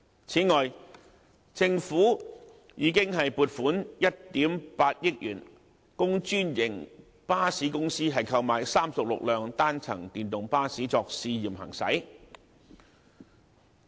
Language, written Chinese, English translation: Cantonese, 此外，政府已經撥款1億 8,000 萬元供專營巴士公司購買36輛單層電動巴士作試驗行駛。, Meanwhile the Government has allocated 180 million for procurement of 36 single - deck electric buses by franchised bus companies for trial